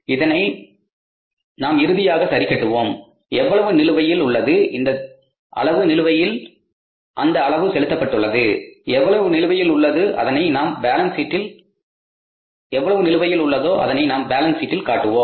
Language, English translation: Tamil, We will adjust this finally how much was due this much was due, how much is paid that much is paid, how much is the balance will be outstanding that we will show in the balance sheet